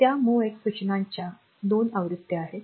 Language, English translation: Marathi, So, those are 2 versions of the MOVX instructions